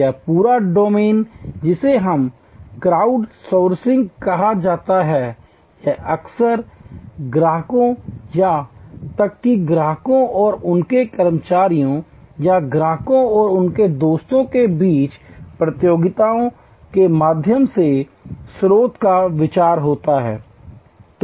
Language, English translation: Hindi, So, this whole domain which is called crowd sourcing or often idea of source through competitions among customers or even customers and their employees or customers and their friends and so on